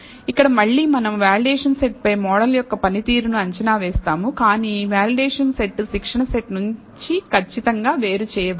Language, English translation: Telugu, Here again, we will predict the performance of the model on the validation set, but the validation set is not separated from the training set precisely